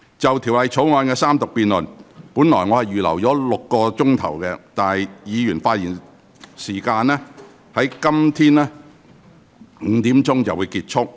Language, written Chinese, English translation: Cantonese, 就《條例草案》的三讀辯論，我原本預留了6小時，而議員發言的部分會於今天下午5時左右結束。, I have originally earmarked six hours for the Third Reading debate of the Bill . The session for Members speeches will end at around 5 pm today